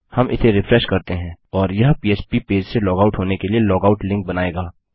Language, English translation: Hindi, We refresh this and it will create a log out link, to log out from the php page